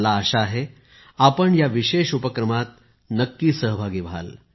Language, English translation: Marathi, I hope you connect yourselves with this novel initiative